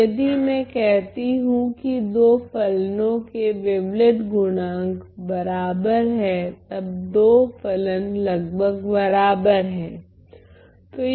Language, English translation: Hindi, So, if I say that the wavelet coefficients are equal for 2 functions then then 2 functions are almost equal ok